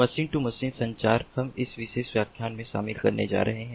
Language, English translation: Hindi, machine to machine communication we are going to cover in this particular lecture